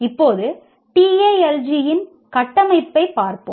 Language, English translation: Tamil, Now let us look at the structure of this TALG